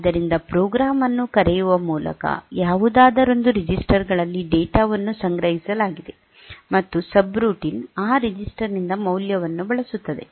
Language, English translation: Kannada, So, data stored in one of the registers by calling the program, and the subroutine uses the value from that register